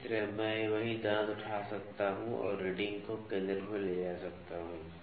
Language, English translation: Hindi, Similarly, I can pick the same tooth and take the reading at the centre